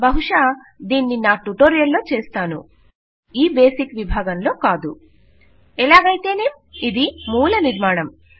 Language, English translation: Telugu, I will probably do this in one my tutorial not in the basics section though However, this is the basics structure